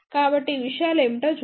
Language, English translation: Telugu, So, let us see what are these things